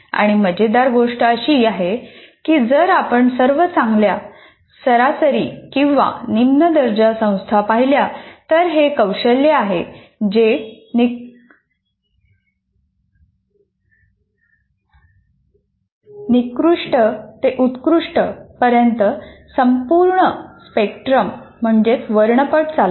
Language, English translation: Marathi, If you look at any all good or average or low end institutions that you take, this skill runs the full spectrum from poor to excellent